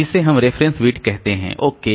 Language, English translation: Hindi, So we look into the reference bit